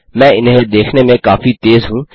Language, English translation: Hindi, I am a bit quick at realizing these